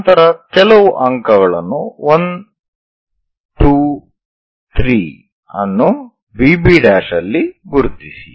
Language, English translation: Kannada, Then mark few points 1, 2, 3 on VB prime